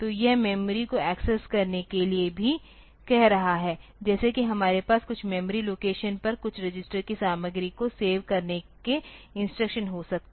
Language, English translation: Hindi, So, this is also asking to access memory, like the instruction that we have may be to save the content of some register on to some memory location